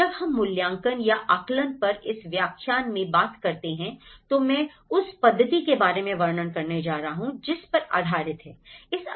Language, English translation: Hindi, When we talk about this lecture on the assessment, I am going to describe about the methodology it has been framed